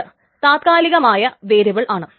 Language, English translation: Malayalam, So this is just a temporary variable